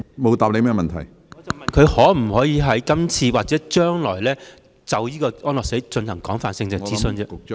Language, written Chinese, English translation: Cantonese, 我問她會否在今次的諮詢中或將來，就安樂死進行廣泛的諮詢？, I was asking whether she would conduct an extensive consultation on euthanasia during this consultation exercise or in the future